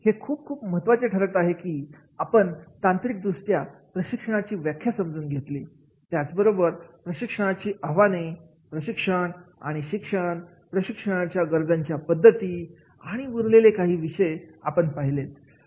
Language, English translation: Marathi, It becomes very very important that is we technically understand the definition of training, challenges in training, training and education, methods of training needs and the rest of the topics